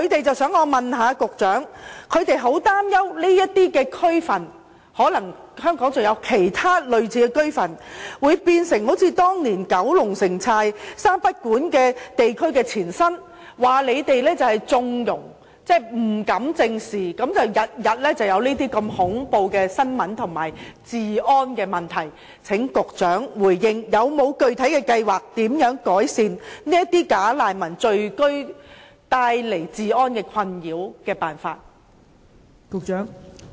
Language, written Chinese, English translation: Cantonese, 居民很擔心這些區份或香港其他類似的區份，會變成好像當年九龍寨城三不管地區的前身，說當局縱容、不敢正視，因而每天都出現如此恐怖的新聞及治安的問題，請局長回應有否具體辦法改善"假難民"聚居帶來治安困擾？, The residents are worried that these areas or other similar areas in Hong Kong will become something similar to the previous Kowloon Walled City no - mans land . They believe such terrible news and security problems are happening daily because the authorities have turned a blind eye to the situation . Will the Secretary tell us whether there are specific ways to ameliorate the security concerns brought forth by the settlement of bogus refugees?